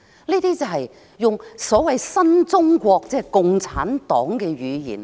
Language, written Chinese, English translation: Cantonese, 這些便是所謂的新中國，即共產黨的語言。, That is the language of the so - called new China the language of the Communists